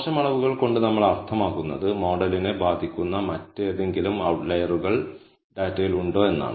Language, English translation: Malayalam, So, by bad measurements we mean are there any other outliers in the data which could affect the model